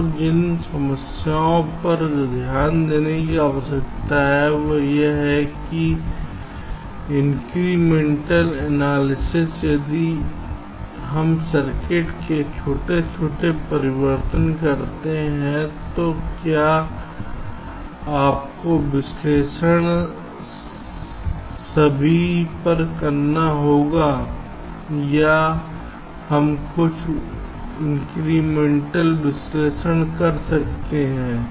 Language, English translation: Hindi, so the problems that need to be looked at is that incremental analysis if we make small changes in the circuit, do you have to do the analysis all over or we can do some correct incremental analysis